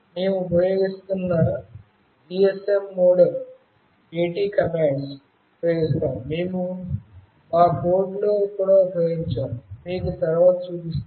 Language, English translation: Telugu, The GSM modem that we will be using use AT commands, which we have also used in our code when we show you next